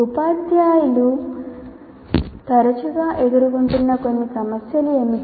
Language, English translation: Telugu, And what are these problems teachers face frequently